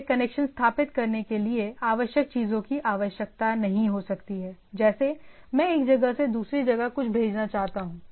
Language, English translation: Hindi, I may not be requiring connection things, like I say I want to send a something from one place to another